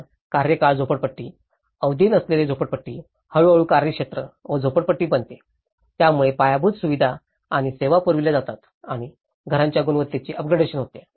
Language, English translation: Marathi, So, a tenure slum, non tenure slum gradually becomes a tenure slum with the provision of infrastructure and services and up gradation of the quality of the housing